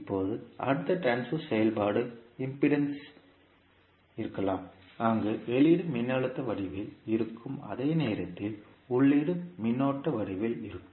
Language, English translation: Tamil, Now, next transfer function can be impedance, where output is in the form of voltage, while input is in the form of current